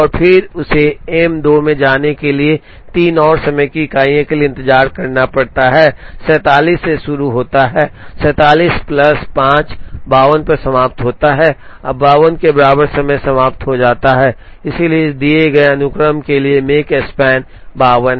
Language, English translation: Hindi, And then it has to wait for 3 more time unit to get into M 2, starts at 47 finishes at 47 plus 5, 52 and time equal to 52 all the jobs are over and therefore, for this given sequence the Makespan is 52